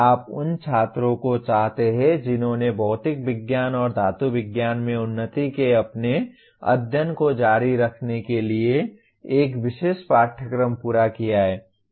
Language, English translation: Hindi, You want the students who have completed a particular course to continue their studies of advancement in material science and metallurgy